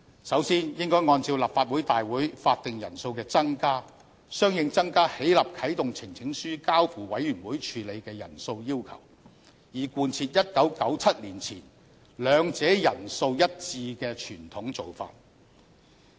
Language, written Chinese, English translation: Cantonese, 首先，應該按照立法會大會法定人數的增加，相應增加起立啟動呈請書交付委員會處理的人數要求，以貫徹1997年前兩者人數一致的傳統做法。, First of all in relation to the increased quorum for a Legislative Council meeting we should correspondingly increase the required number of Members who rise in support of a petition to be referred to House Committee so as to tally with the practice before 1997 where the two numbers were the consistent with each other